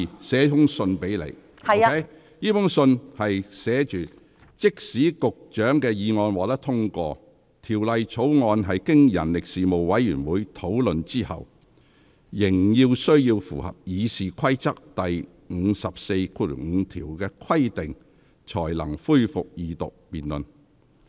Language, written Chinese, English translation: Cantonese, 信中寫着："即使局長的議案獲得通過，條例草案經人力事務委員會討論後，仍須符合《議事規則》第545條的規定，才能恢復二讀辯論。, The letter reads Even if the Secretarys motion is passed the Bill must still comply with Rule 545 of the Rules of Procedure after discussion by the Panel on Manpower before the Second Reading debate can resume